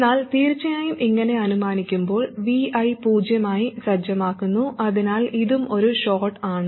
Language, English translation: Malayalam, And of course, while carrying out this exercise, VA is set to 0, so this is also a short